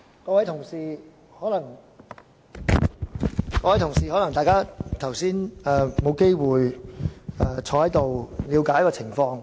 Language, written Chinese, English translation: Cantonese, 各位同事，可能大家剛才沒有機會了解這裏的情況。, Fellow colleagues just now you might not have the chance to understand what is going on in the Chamber